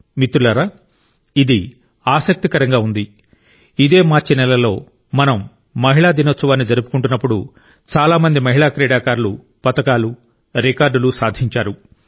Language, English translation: Telugu, Friends, it is interesting… in the month of March itself, when we were celebrating women's day, many women players secured records and medals in their name